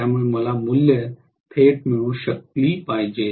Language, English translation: Marathi, So I should be able to get the values directly